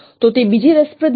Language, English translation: Gujarati, So that is another interesting information